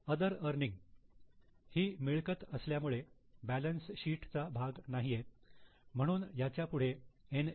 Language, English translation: Marathi, Other earnings, again they are earnings, so not a part of balance sheet, give it as N